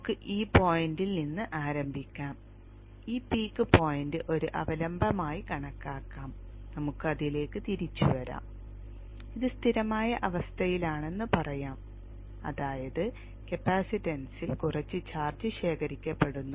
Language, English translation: Malayalam, Let us start from this point, this peak point as a reference and then we will come back to it and extend it and let us say it is in a steady state which means that there is some charge accumulated in the capacitance